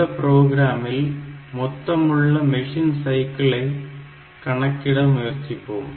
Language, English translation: Tamil, So, if you are not just trying to compute what is the total number of machine cycles needed